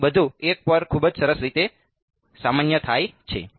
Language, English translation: Gujarati, So, everything is normalized very nicely to 1 right